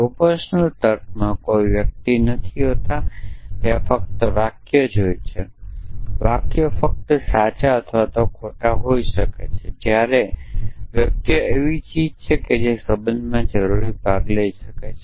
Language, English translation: Gujarati, In proportion logic there is no individuals there are only sentences, the sentences can only be true or false whereas, the individuals are things which can participate in relation essentially